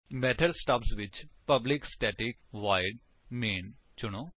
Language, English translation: Punjabi, In the method stubs, select public static void main